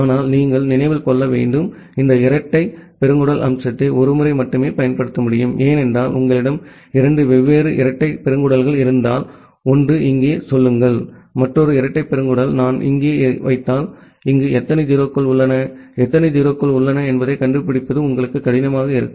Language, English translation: Tamil, But you need to remember that, this double colon feature can be used only once, because if you have two different double colons; one say here and another double colon if I put here, then it will be difficult for you to find out that how many 0’s are here and how many 0’s are here